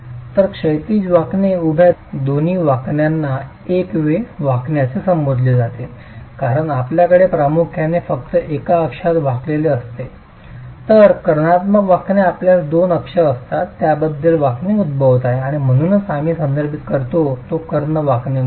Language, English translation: Marathi, So, both horizontal bending and vertical bending are referred to as one way bending because you have the predominant bending only in about one axis whereas in diagonal bending you will have two axes about which the bending is occurring and that's why we refer to it as diagonal bending